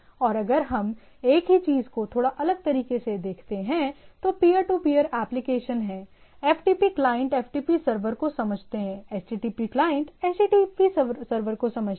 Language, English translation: Hindi, And if we look at the same thing in a little different way, so there are peer to peer application understand application; FTP client understand FTP server, HTTP client understand HTTP server